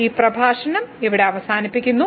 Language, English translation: Malayalam, So, that is the end of the lecture